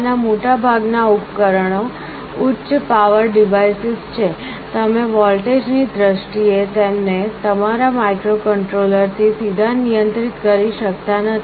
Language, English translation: Gujarati, Most of these devices are high power devices, you cannot directly control them from your microcontroller in terms of voltages